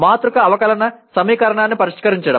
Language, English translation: Telugu, Solving matrix differential equation